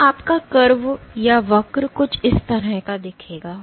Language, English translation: Hindi, So, your curve will look something like this